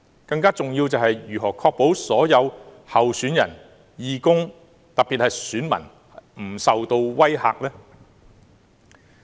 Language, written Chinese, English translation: Cantonese, 更重要的是，政府如何確保所有候選人、義工，特別是選民不受威嚇？, More importantly how will the Government ensure that the candidates volunteers and voters in particular will not be intimidated?